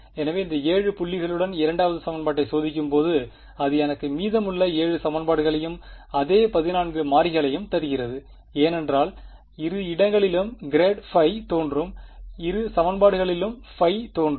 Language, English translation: Tamil, So, that gives me when I test the 2nd equation with these 7 points I will get the remaining 7 equations and the same 14 variables right, because grad phi is appearing in both places phi is appearing in both equations right